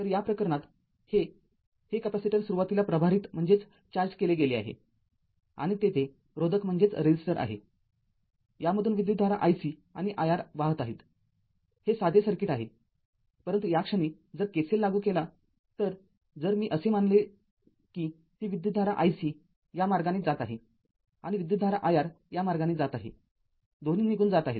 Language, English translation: Marathi, So, in this case this, this capacitor was initially charged and resistor is there; all though i C and i R it is a it is a simple circuit, but at this point if you apply KCL, I if you take like this that i C is going this way and i R is going this way both are leaving